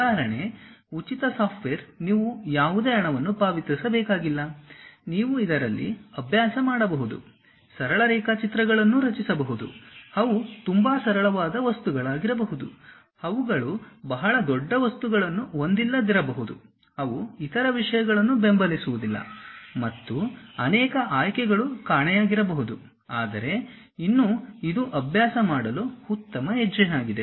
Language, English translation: Kannada, Example free software you do not have to pay any money, you can just practice it, construct simple sketches, they might be very simple things, they might not have very big objects, they may not be supporting other things and many options might be missing, but still it is a good step to begin with that